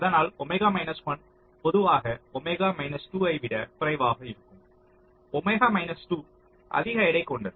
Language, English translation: Tamil, so omega one is usually less than omega two